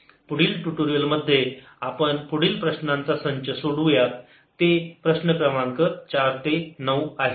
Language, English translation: Marathi, in the next tutorial we'll solve the next set of problems, that is, from problem number four to nine